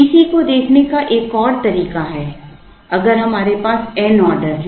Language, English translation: Hindi, Another way of looking at T C is, if we have n orders